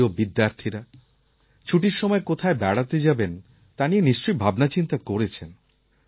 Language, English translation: Bengali, My dear students, you must have thought of travelling to places during your holidays